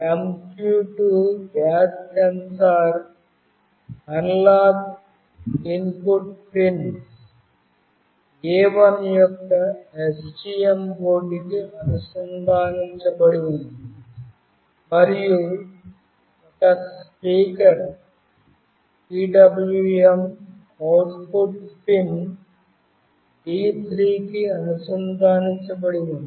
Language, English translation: Telugu, The MQ2 gas sensor is connected to the analog input pin A1 of STM board and a speaker is connected to the PWM output pin D3